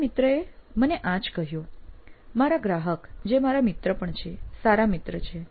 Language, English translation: Gujarati, That’s what my friend told me, my client who is also my friend, good friend